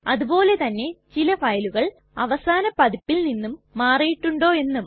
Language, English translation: Malayalam, Also we may want to see whether a file has changed since the last version